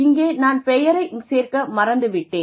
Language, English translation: Tamil, I am sorry I forgot to add the name down here